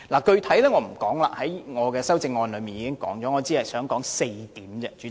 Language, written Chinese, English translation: Cantonese, 具體情況我在修正案已有闡述，在此不再多說。, As the relevant points have been already been set out in detail in my amendment I will not repeat the same here